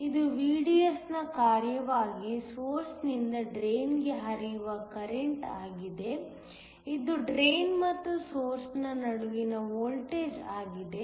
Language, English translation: Kannada, This is the current that is flowing from the source to the drain as a function of VDS, which is the voltage between the drain and the source